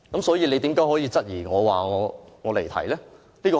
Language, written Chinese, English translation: Cantonese, 所以，為何主席質疑我，指我離題呢？, Then why did the Chairman question me and said I have digressed?